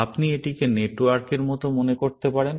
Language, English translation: Bengali, You might think of it as on the network